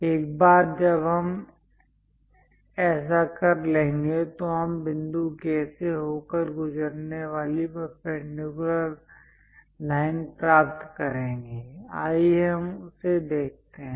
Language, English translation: Hindi, Once we do that, we will get a perpendicular line passing through point K; let us look at that